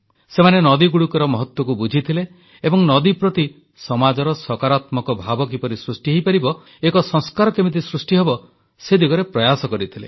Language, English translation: Odia, They understood the importance of rivers, and tried to inculcate a positive mindset towards rivers in the society